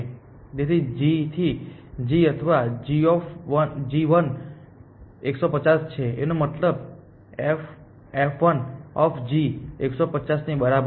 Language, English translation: Gujarati, So, g to g or g 1, g is equal to 150 which means f1 G is equal to 150